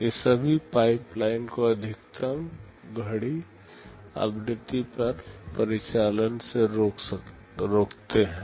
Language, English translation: Hindi, All of these prevent the pipeline from operating at the maximum clock frequency